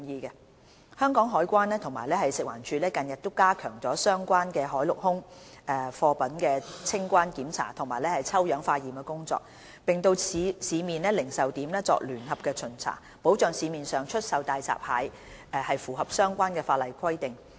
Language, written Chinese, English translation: Cantonese, 香港海關及食環署近日已加強相關海陸空貨物的清關檢查及抽樣化驗工作，並到市面零售點作聯合巡查，保障市面上出售的大閘蟹符合相關的法例規定。, The Customs and Excise Department CED and FEHD recently have stepped up customs clearance inspection and sample taking for testing of related cargoes via sea land and air as well as jointly inspected retail outlets to safeguard that hairy crabs on sale in the market meet the standards as stipulated under related ordinances